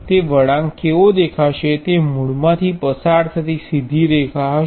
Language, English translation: Gujarati, What will that curve look like, it will be a straight line passing through the origin